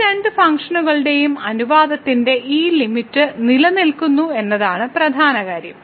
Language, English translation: Malayalam, The important point was that this limit of the ratio of these two functions exist when the ratio of this derivative of the